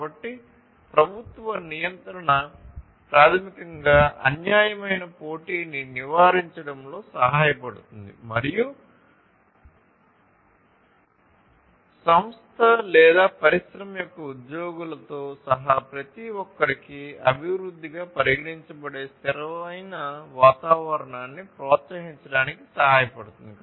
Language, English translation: Telugu, So, government regulation will help in basically avoiding unfair competition and also to promote sustainable environment considered development for everyone including the employees of the organization or the industry